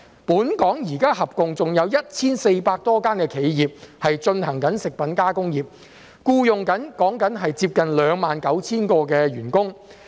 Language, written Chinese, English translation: Cantonese, 本港現時合共有 1,400 多間企業從事食品加工業，僱用接近 29,000 名員工。, Currently there are some 1 400 enterprises engaging in food processing industry in Hong Kong employing close to 29 000 employees